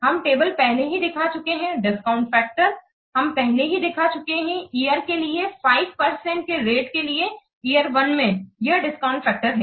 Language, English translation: Hindi, The table we have already seen that the discount factors we have already seen for year at the rate of 5% at the year 1